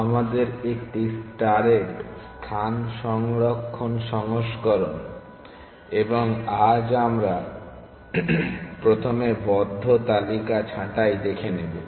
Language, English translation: Bengali, Our space saving versions of a star and today we want to first look at pruning the close list